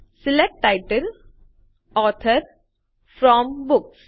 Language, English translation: Gujarati, SELECT Title, Author FROM Books